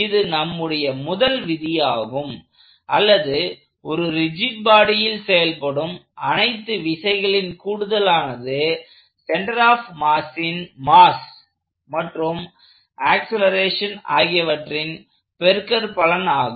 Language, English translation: Tamil, So, this is our first law or simply the sum of all forces on a rigid body equals mass times the acceleration of the center of mass